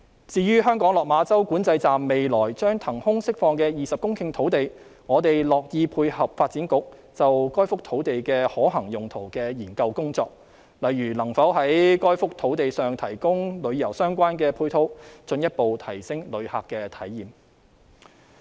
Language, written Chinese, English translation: Cantonese, 至於香港落馬洲管制站未來將騰空釋放的20公頃土地，我們樂意配合發展局就該幅土地的可行用途的研究工作，例如能否在該幅土地上提供與旅遊相關的配套，進一步提升旅客體驗。, Regarding the 20 hectares of land to be released from the Lok Ma Chau Control Point at the Hong Kong side we are happy to work in tandem with the feasibility study on the usage of the land to be conducted by the Development Bureau . For instance is it feasible to provide tourism - related supporting facilities on the site to further enhance tourists experience?